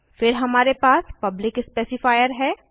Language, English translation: Hindi, Then we have public specifier